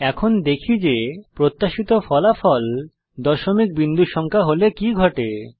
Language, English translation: Bengali, Now let us see what happens when the expected result is a decimal point number